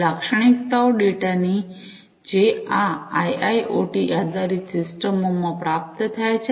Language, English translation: Gujarati, The characteristics of the data, that are received in these IIoT based systems